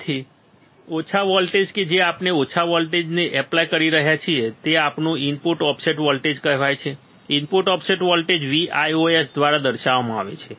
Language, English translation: Gujarati, So, this small voltage that we are applying this small DC voltage is our input offset voltage is called input offset voltage is denoted by V ios, V ios, all right, good